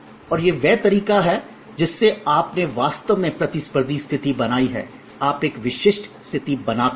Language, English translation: Hindi, And this is the way you actually created competitive position, you create a distinctive position